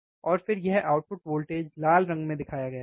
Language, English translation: Hindi, And then this output voltage is shown in red colour, right